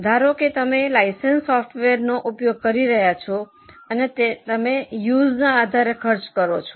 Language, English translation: Gujarati, Suppose you are using a license software and pay on per use basis